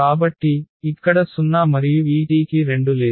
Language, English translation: Telugu, So, here 0 and also this t does not have mu 2